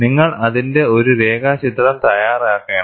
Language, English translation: Malayalam, You make a sketch of it